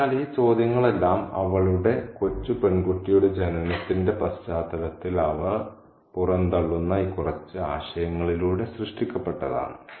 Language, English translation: Malayalam, So, all these questions are generated through these few ideas that she throws out in the context of the birth of her little girl